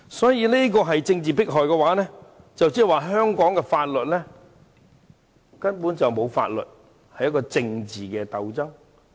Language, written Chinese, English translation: Cantonese, 所以，若這也是政治迫害，那麼香港根本沒有法律可言，只有政治鬥爭。, If this is regarded as political persecution I would say law is no longer a concern in Hong Kong for there are only political struggles